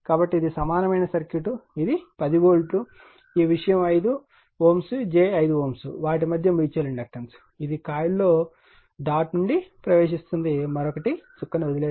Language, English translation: Telugu, So, this is the equivalent circuit right, this 10 volt, this thing 5 ohm j 5 ohm, this mutual inductance between, this one is entering the dot in the coil another is leaving the dot and this is 5 ohm